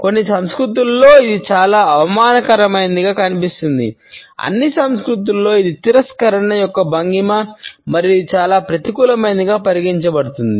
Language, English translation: Telugu, In some cultures it is seen as an extremely insulting one; in all cultures nonetheless it is a posture of rejection and it is considered to be a highly negative one